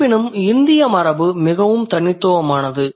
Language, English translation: Tamil, However, the Indic tradition was very unique